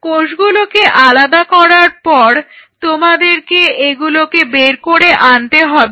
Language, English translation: Bengali, Now once you separate the cells now you have to pull them out